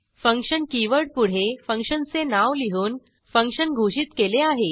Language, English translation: Marathi, Function is declared by the keyword function followed by function name